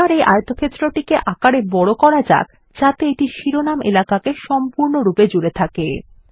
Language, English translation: Bengali, Lets enlarge this rectangle so that it covers the title area completely